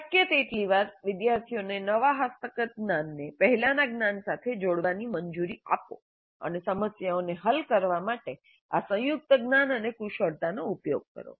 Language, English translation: Gujarati, So as often as possible, allow the students to combine the newly acquired knowledge with the earlier knowledge and use this combined knowledge and skills to solve problems